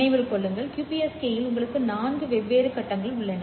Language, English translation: Tamil, Remember in the QPSK you have four different phases